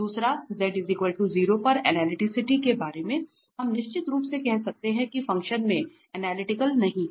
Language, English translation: Hindi, Second about the analyticity at z equal to 0 we can definitely say that the function is not analytical at z equal to 0